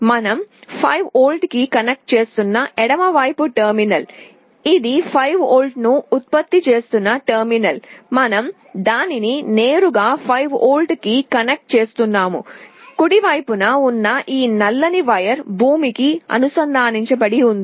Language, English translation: Telugu, The leftmost terminal we are connecting to 5V, this is the terminal which is generating 5V we are connecting it directly to 5V, the rightmost wire this black one is connected to ground